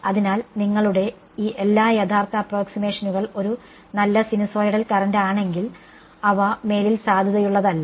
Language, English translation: Malayalam, So, all your original approximations if a nice sinusoidal current, they are no longer valid